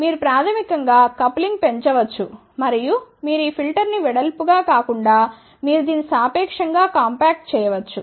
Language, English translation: Telugu, So, you can basically increase the coupling and also you can make the filter instead of this width you can now make it relatively compact